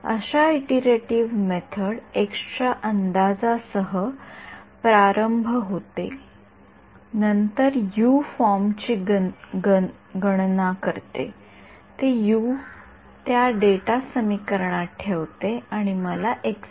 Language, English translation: Marathi, Such an iterative method starts with some guess for x, then calculates U form that and puts that U into the data equation and gives me the x ok